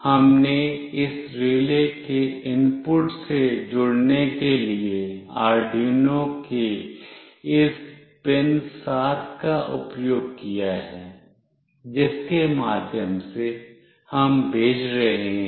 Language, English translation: Hindi, We have used this PIN7 of Arduino for connecting with the input of this relay through which we will be sending